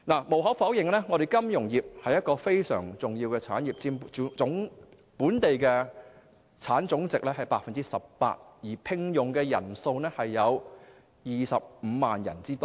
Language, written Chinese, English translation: Cantonese, 無可否認，金融業是一個非常重要的產業，佔本地生產總值 18%， 聘用人數達25萬人。, Undeniably the financial industry is a very important industry accounting for 18 % of the Gross Domestic Product and employing up to 250 000 people